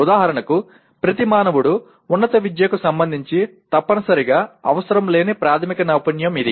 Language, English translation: Telugu, For example this is one of the basic skill that every human being requires not necessarily with respect to higher education